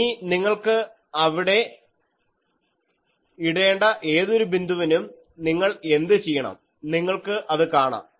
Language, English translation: Malayalam, Now, any point you want to put there what you do, you see that